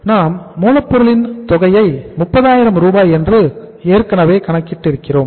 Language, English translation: Tamil, What is the raw material figure we have already calculated is 30,000